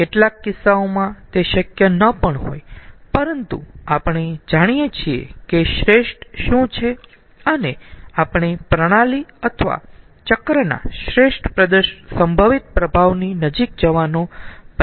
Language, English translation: Gujarati, in other cases it may not be possible, but at least we know what is the best possible and we try to go close to that best possible performance of the system or the cycle